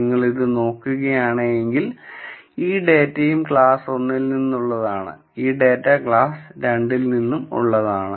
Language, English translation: Malayalam, However, if you look at this, this data and this data both belong to class 1 and this data belongs to class 2